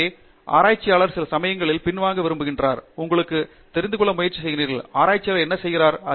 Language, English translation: Tamil, So, researcher sometimes wants to step back and try to look at you know, what does a researcher do